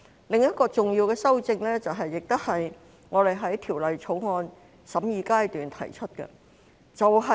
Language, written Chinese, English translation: Cantonese, 另一項重要的修正案，亦是我們在《條例草案》審議階段提出的。, Another important amendment was also proposed by us during the scrutiny of the Bill